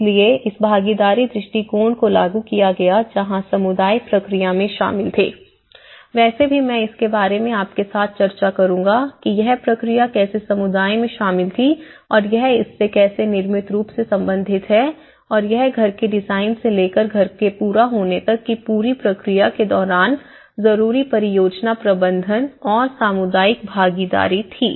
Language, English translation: Hindi, So this have been implemented the participatory approach where the communities were involved in the process so, anyways I will discuss with you with, the process how the community was involved and how it has related to the built form and the project management and community involvement was essential during the whole process from the design of the house to the completion of the house